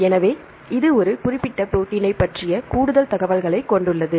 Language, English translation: Tamil, So, it has more information regarding a particular protein